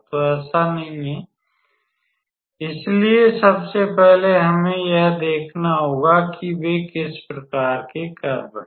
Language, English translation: Hindi, So, it is not that; so, first of all we have to see what kind of curve they are